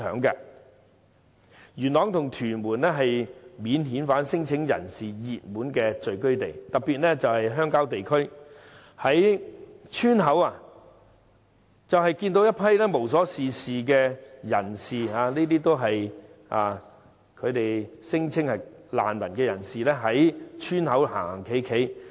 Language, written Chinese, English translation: Cantonese, 元朗及屯門是免遣返聲請人士的熱門聚居地，特別是鄉郊地區，人們會看到一批聲稱是難民，無所事事的人在村口流連。, This will also help to alleviate the impact of the bogus refugees issue on the community . Yuen Long and Tuen Mun are the popular habitats for these claimants . In particular we can see groups of alleged refugees who have nothing to do and hanging around at the entrance of villages in rural areas